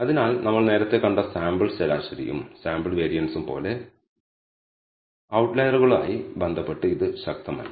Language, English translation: Malayalam, So, it is not robust with respect to outliers just like the sample mean and sample variance we saw earlier